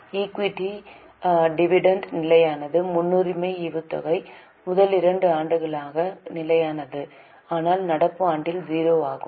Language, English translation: Tamil, The preference dividend was constant for first two years but is zero in the current year